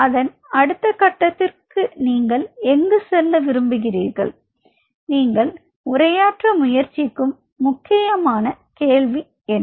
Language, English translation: Tamil, And where you are where you want to take it to the next level, what are those critical question what you are trying to address